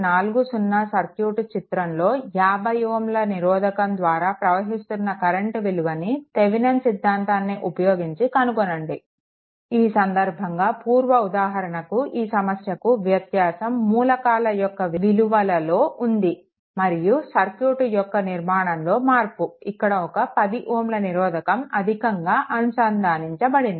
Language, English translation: Telugu, So, next is you determine the current through 50 ohm resistor of the circuit, shown in figure 40 using Thevenin’s theorem, in this case difference between the previous one and this one that here data may be different, but structure of the circuit in difference that one extra resistance is connected here that is 10 ohm right